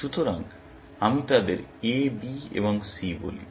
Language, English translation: Bengali, So, let me call them A, B and C